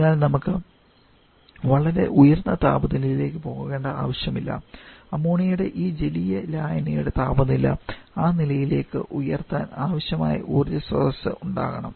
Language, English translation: Malayalam, So, we do not need to go to very high temperature we need some source of energy which is able to raise the temperature of this aqua solution of ammonia to that levels